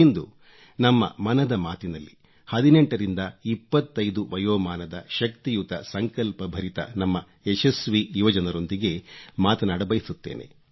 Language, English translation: Kannada, And today, in this edition of Mann Ki Baat, I wish to speak to our successful young men & women between 18 & 25, all infused with energy and resolve